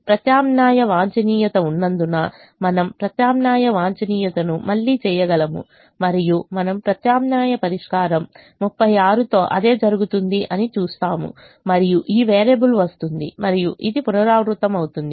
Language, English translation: Telugu, we can do the alternate optimum again and we see the same thing occurring with an alternate solution of thirty six and this variable coming in and it will repeat